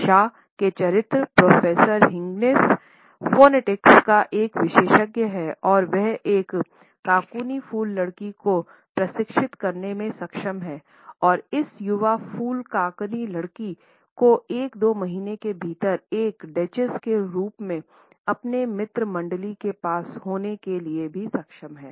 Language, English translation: Hindi, Shaw’s character Professor Higgins is an expert of phonetics and he tries to coach a cockney flower girl and is able to pass on this young flower cockney girl as a duchess within a couple of months in his friend circle